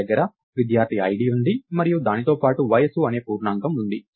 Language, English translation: Telugu, I have the student id and along with that I have an integer called age